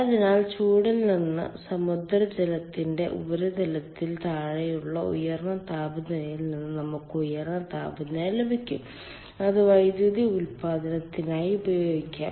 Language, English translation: Malayalam, so for from the hots ah from the high temperature below um the surface of seawater ah we can get high temperature and that can be utilized for generation of power